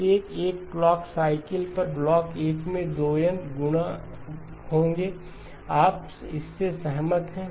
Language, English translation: Hindi, Block 1 every clock cycle, there will be 2N multiplies, you agree with that